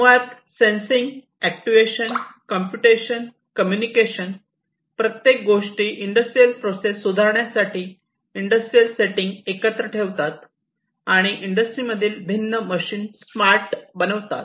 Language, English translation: Marathi, So, basically sensing, actuation, computation, communication, everything put together in the industrial setting for improving their industrial processes, making the different machinery in the industries smarter is what IIoT talks about